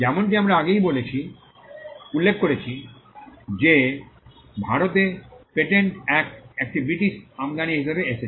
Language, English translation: Bengali, As we mentioned before, the patents act in India came as a British import